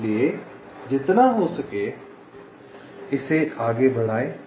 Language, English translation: Hindi, so bring it as much up as possible